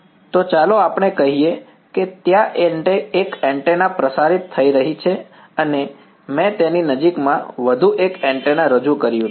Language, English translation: Gujarati, So let us say there is one antenna radiating and I have introduced one more antenna in its vicinity ok